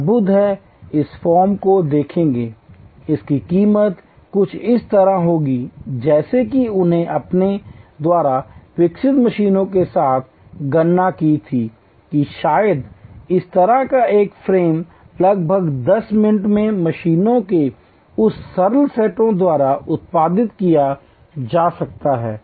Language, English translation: Hindi, Wonderful, look at this frame it will cost something like they with the machines they had developed they calculated that maybe a frame like this can be produce by those simple set of machines in about 10 minutes